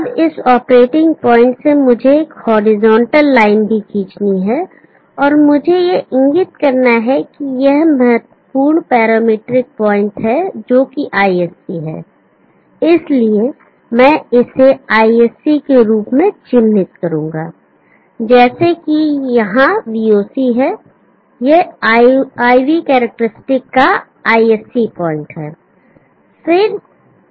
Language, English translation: Hindi, Now from this operating point let me draw a horizontal line also, and let me indicate the important parametric point this is ISC, so I will mark it as ISC just like we had VOC here, this is an ISC point of IV characteristic